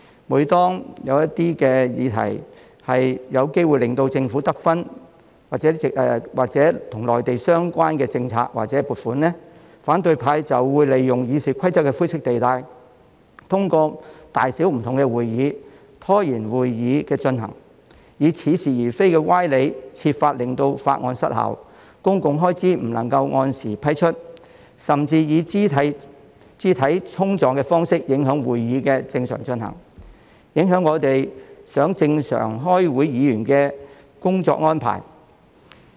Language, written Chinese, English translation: Cantonese, 每當一些議題有機會令政府得分或與內地政策及撥款有關，反對派就會利用《議事規則》的灰色地帶，通過大小不同的會議，拖延會議的進行，以似是而非的歪理設法令法案失效，公共開支不能按時批出，甚至以肢體衝撞的方式影響會議的正常進行，影響如我們想正常開會議員的工作安排。, Whenever the Government is likely to get the credit from a topic of discussion or the funding application or policy is relevant to the Mainland the opposition camp will make use of the grey area of the Rules of Procedure to delay the process of various meetings . They would make paradoxical arguments with a view to sabotaging the relevant bills and preventing the funding from being allocated on time . They would even resort to physical confrontations to prevent the normal processing of meetings and affect the normal work schedule of those Members who wish to conduct meetings in a normal fashion